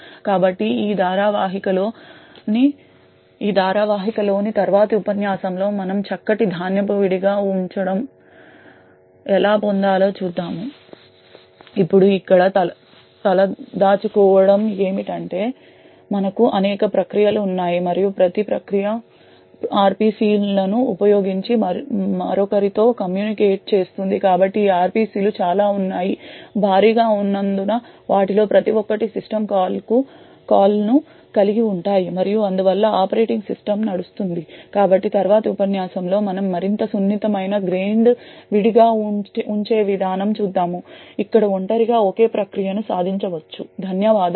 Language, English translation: Telugu, So in the next lecture in the series, we will see how we would get finer grained isolation, now the over heads over here is that we have several processes that get involved and each process communicates with the other using RPCs, so these RPCs are quite heavy because each of them involve a system call and therefore have the operating system running, so in the next lecture what we would see is more fine grained isolation mechanisms where isolation is achieved within a single process, thank you